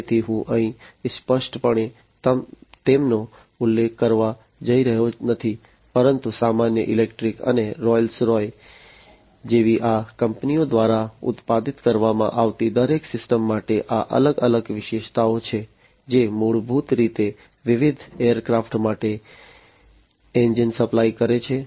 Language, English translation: Gujarati, So, I am not going to mention them over here explicitly, but these are the different features for each of the systems that are produced by these companies like general electric and Rolls Royce, who basically supply the engines for the different aircrafts